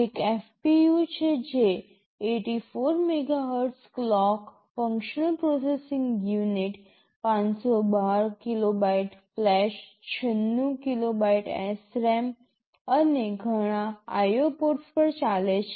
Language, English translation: Gujarati, There is a FPU which is running at 84 MHz clock, functional processing unit, 512 kilobytes of flash, 96 kilobytes of SRAM, and a lot of IO ports